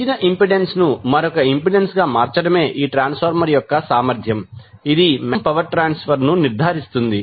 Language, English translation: Telugu, So, now, this ability of the transformer to transform a given impedance into another impedance it will provide us means of impedance matching which will ensure the maximum power transfer